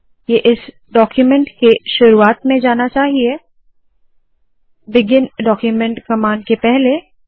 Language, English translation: Hindi, This should go to the beginning of this document before the beginning document command